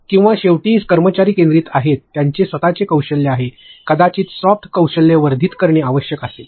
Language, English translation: Marathi, Or lastly employee centric that is their own skills maybe soft skills need to be enhanced